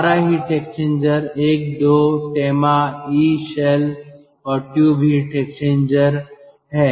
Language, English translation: Hindi, ah, our heat exchanger is one two tema: e shell, e shell and tube heat exchanger